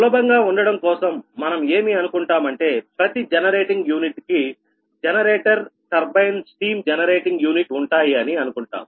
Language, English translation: Telugu, so for simplicity it is assumed that is generating unit consist of generator turbine, steam generating unit